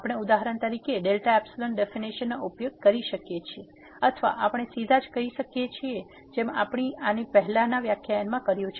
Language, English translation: Gujarati, We can use for example, the delta epsilon definition or we can also do directly as we have done in the previous lecture